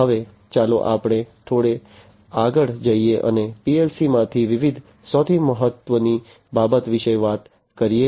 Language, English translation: Gujarati, Now, let us go little further and talk about the different, the most important thing that happens in a PLC